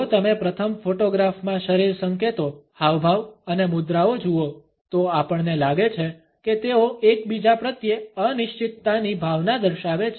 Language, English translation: Gujarati, If you look at the body signal gestures and postures in the first photograph, we find that they exhibit a sense of uncertainty towards each other